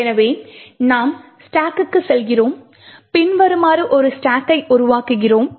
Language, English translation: Tamil, So, we go back to our stack and we build a stack as follows